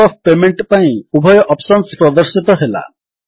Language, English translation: Odia, Both the options for mode of payment are displayed